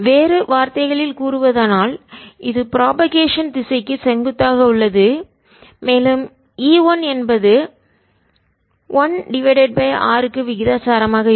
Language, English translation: Tamil, in another words, it is perpendicular to the direction of propagation and e will be proportional to one over r